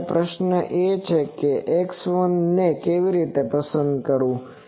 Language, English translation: Gujarati, Now, the question is how to select x 1